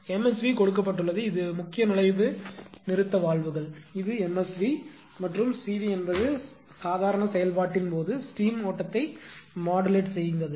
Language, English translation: Tamil, MSV is given actually the main inlet stop valves right, this is a the MSV and CV is the modulate the steam flow during normal operation right